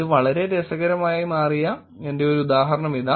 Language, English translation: Malayalam, Here is my example where it became very interesting